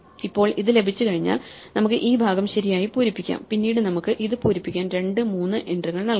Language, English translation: Malayalam, Now, once we have this we can fill up this part right and then again we can have two and three c entries we can fill up this